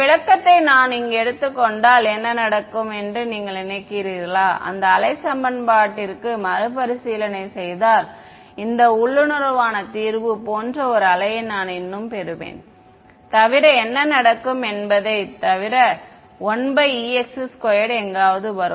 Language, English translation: Tamil, If I take this interpretation over here and I rederive the wave equation what you think will happen, will I still get a wave like solution this intuitively I should get a wave like solution except what will happen this 1 by E x square will come somewhere 1 by H x square will come somewhere